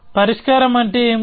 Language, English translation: Telugu, So, what is a solution